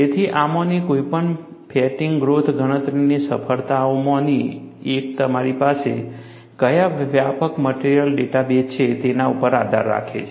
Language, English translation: Gujarati, So, one of the success of any of these fatigue growth calculation, depends on what broader material data base that you have